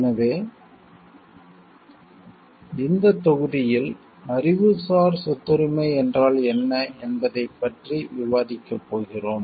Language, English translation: Tamil, So, in this module we are going to discuss about what is intellectual property right